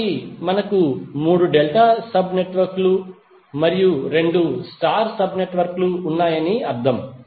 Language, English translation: Telugu, So it means that we have 3 delta sub networks and 2 star sub networks